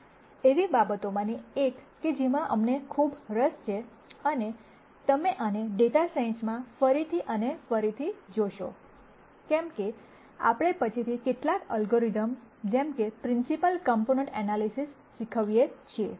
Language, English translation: Gujarati, One of the things that we are quite interested in and you will see this again and again in data science, as we teach some of the algorithms later such as principle component analysis and so on